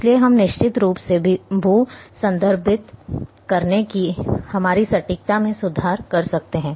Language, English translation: Hindi, So, we can definitively improve our accuracy of geo referencing